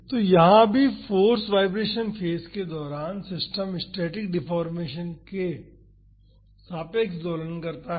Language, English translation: Hindi, So, here also during the force vibration phase, the system oscillates about the static deformation